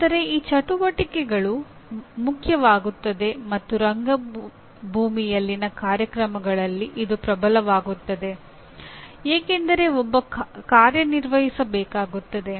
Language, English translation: Kannada, But these activities become important and even dominant in course/ in programs in theater because one has to act